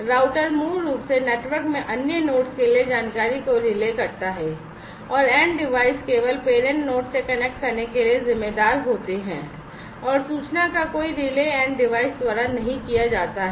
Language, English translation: Hindi, The router basically relays the information to other nodes in the network, and the end devices are only responsible to connect to the parent node, and no relaying of information is done by the end devices